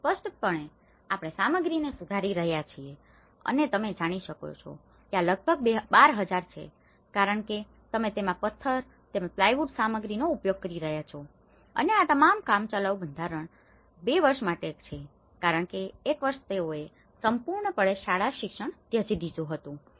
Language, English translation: Gujarati, So, the more the material we are improving obviously and this is about 12,000 you know because that is where you are using the stone and as well as the plywood material into it and this all temporary structure for a period of 2 years and because for 1 year they completely abandoned the school education